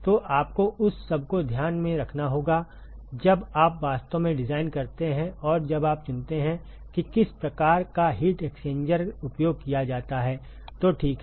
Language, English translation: Hindi, So, you have to take all that into account, when you actually design and when you choose what kind of heat exchanger is used, ok